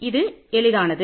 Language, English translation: Tamil, So, this is very easy